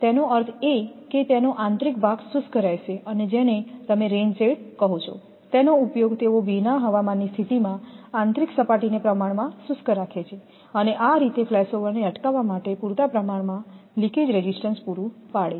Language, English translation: Gujarati, That means it will inner portion will remain dry that is that your what to call the rain sheds are used they keep the inner surface relatively dry in a wet weather condition and thus provides sufficient leakage resistance to prevent a flash over